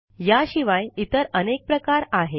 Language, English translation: Marathi, There are several other classes as well